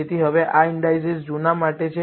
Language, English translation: Gujarati, So, now, these indices are for the old data